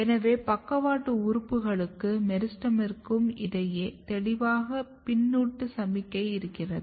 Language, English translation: Tamil, So, this tells that there is a clear feedback signaling between lateral organs as well as the meristem